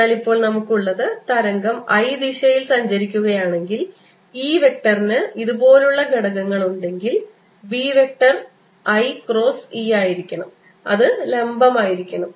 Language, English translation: Malayalam, so what we have now is that if the wave is propagating in the i direction, if e vector has components like this, the b vector has to be i cross e